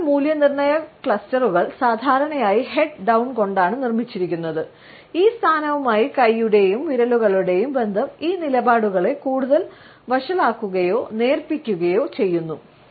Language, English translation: Malayalam, Critical evaluation clusters are normally made with the head down and we find that the association of hand and fingers with this position either further aggravates or dilutes these stands